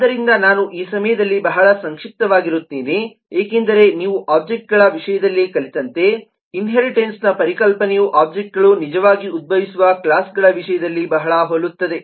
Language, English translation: Kannada, so i will be very brief this time, because the concept of inheritance, as you learned, in terms of objects, is very similar in terms of the classes from which the objects actually arise